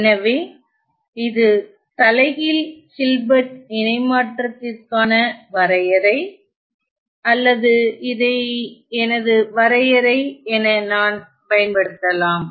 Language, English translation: Tamil, So, this is my definition of the inverse Hilbert transform or I can use this as my definition let me call this as 4